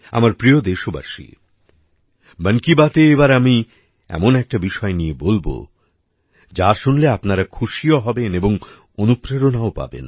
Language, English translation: Bengali, My dear countrymen, in 'Mann Ki Baat', let's now talk about a topic that will delight your mind and inspire you as well